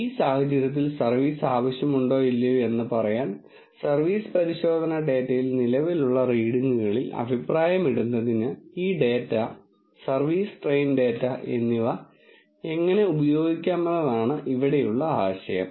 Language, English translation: Malayalam, The idea here is how do one use this data, service train data, to comment upon for the readings which present which are present in the service test data to tell whether service is needed or not in this case